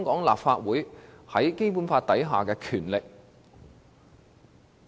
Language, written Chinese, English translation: Cantonese, 立法會又如何根據《基本法》行使權力呢？, How can the Legislative Council exercise its powers pursuant to the Basic Law?